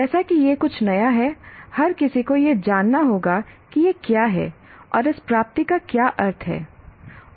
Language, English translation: Hindi, When something new, obviously everyone will have to get familiar with what this is and what this attainment means